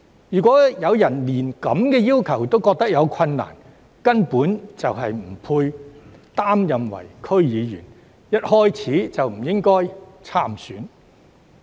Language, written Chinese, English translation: Cantonese, 如果有人對這些要求感到有困難，根本不配擔任區議員，一開始便不應該參選。, If a person has difficulties in complying with these requirements he or she is not qualified to be a DC member and should not run for the election in the first place